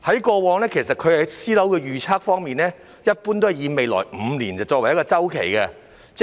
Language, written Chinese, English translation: Cantonese, 過往在私樓預測方面，他一般以未來5年作為一個周期。, In his previous forecast for private housing he usually used five years as a cycle